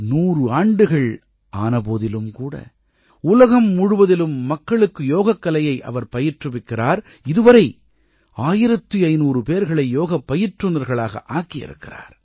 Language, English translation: Tamil, Even at the age of 100, she is training yoga to people from all over the world and till now has trained 1500as yoga teachers